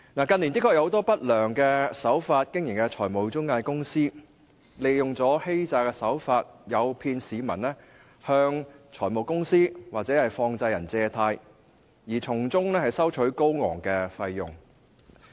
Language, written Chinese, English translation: Cantonese, 近年的確有很多以不良手法經營的財務中介公司，利用欺詐的手法，誘騙市民向財務公司或放債人借貸，從中收取高昂費用。, In recent years many financial intermediaries have indeed adopted bad practices to lure members of the public by fraudulent means to draw loans from finance companies or money lenders and levy exorbitant charges in the process